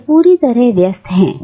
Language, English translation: Hindi, He remains occupied